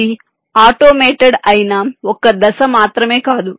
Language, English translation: Telugu, it is not just a single step which is automated